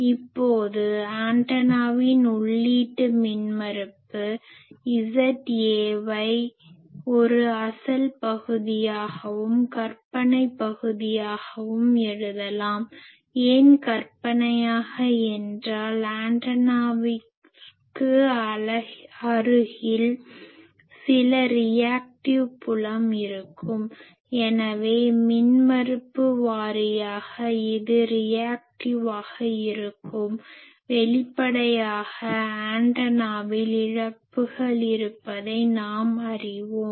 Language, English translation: Tamil, Now, we can write the antenna input impedance Z A as a real part and an imaginary part, why imaginary we have discussed because there will be some reactive field near the antenna so, impedance wise it will be some reactance and; obviously, we have seen that there are losses in the antenna